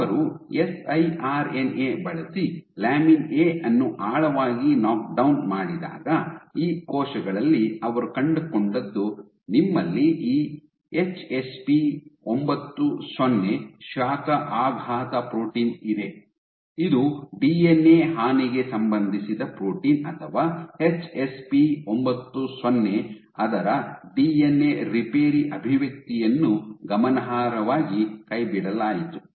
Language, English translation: Kannada, So, when they did a deep knockdown of lamin A using siRNA, what they found was in these cells, you have this HSP90 heat shock protein is a protein which is associated with DNA damage or DNA repair expression of HSP90 was significantly dropped